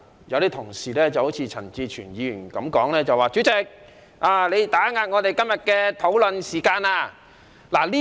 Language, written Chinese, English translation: Cantonese, 有部分同事，例如陳志全議員說主席打壓議員今天的討論時間。, Some of my colleagues such as Mr CHAN Chi - chuen said that the Chairman has restrained Members discussion time today